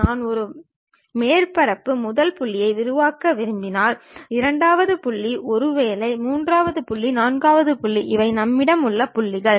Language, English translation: Tamil, If I would like to construct a surface first point, second point, perhaps third point fourth point these are the points we have